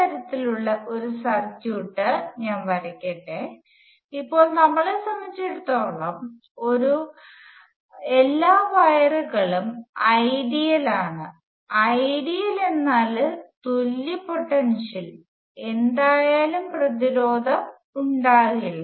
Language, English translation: Malayalam, Let me draw a circuit of this type and as far as we are concerned now, the wires will have no resistance whatsoever; all our wires are ideal; that means, that their ideal equal potential and so on